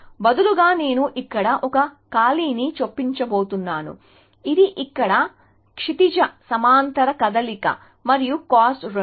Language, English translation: Telugu, But, instead I am saying, I am going to insert a blank here, which is the horizontal move here and the cost is 2